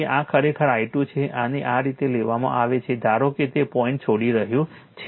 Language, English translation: Gujarati, So, this is actually i 2 this is taken like this right suppose it is leaving the dot